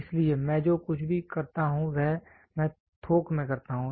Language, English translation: Hindi, So, all I do is I produce it in bulk